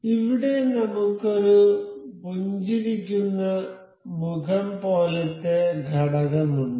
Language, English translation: Malayalam, Here, I have this component with a smiley face kind of thing